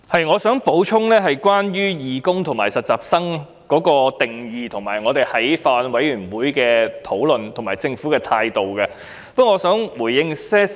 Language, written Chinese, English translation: Cantonese, 我想就"義工"和"實習人員"的定義、法案委員會的討論，以及政府的態度這些方面作補充。, I wish to supplement on the definitions of volunteer and intern the discussions of the Bills Committee as well as the Governments attitude